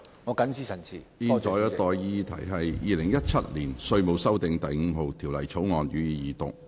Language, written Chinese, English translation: Cantonese, 我現在向各位提出的待議議題是：《2017年稅務條例草案》，予以二讀。, I now propose the question to you and that is That the Inland Revenue Amendment No . 5 Bill 2017 be read the Second time